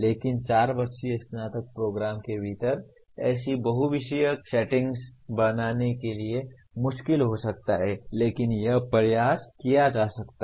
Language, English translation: Hindi, But to create such multidisciplinary settings in a within a 4 year undergraduate program can be difficult but it can be attempted